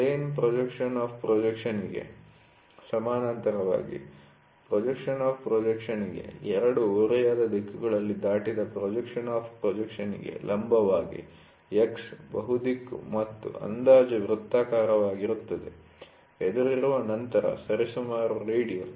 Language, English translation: Kannada, Parallel to the plane of projection, perpendicular to the plane of projection crossed in 2 oblique directions to plane of projection will be X, multi direction then approximate circular for example; facing, then approximately radial, ok